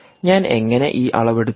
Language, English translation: Malayalam, now, how did i make this measurement